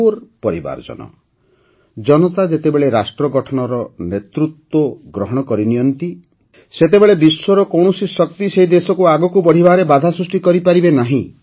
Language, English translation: Odia, My family members, when the people at large take charge of nation building, no power in the world can stop that country from moving forward